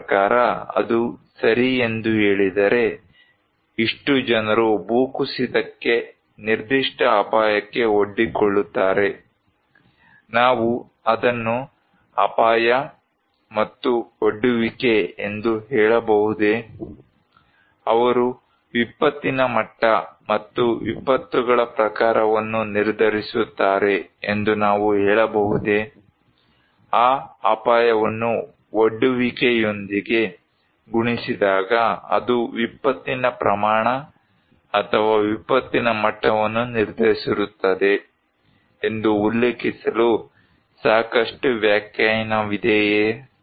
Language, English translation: Kannada, I mean when we say that okay this much of people are exposed to a landslide, a particular hazard, can we say that hazard and exposure, they will decide the degree and the type of disasters, is it enough definition to quote that hazard multiplied by exposure will decide the magnitude of the disaster or the degree of disaster